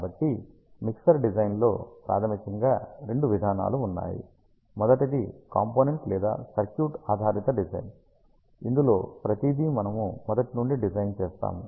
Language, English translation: Telugu, Just to recall ah there are two design approaches, one is ah by using component or circuit based design, where we do everything from scratch